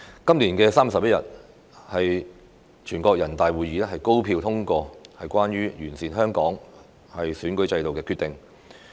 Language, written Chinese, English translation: Cantonese, 今年3月11日，全國人大會議高票通過《全國人民代表大會關於完善香港特別行政區選舉制度的決定》。, On 11 March this year the National Peoples Congress NPC passed the Decision on Improving the Electoral System of the Hong Kong Special Administrative Region by an overwhelming majority vote